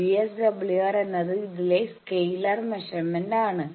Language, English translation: Malayalam, This is the VSWR meter display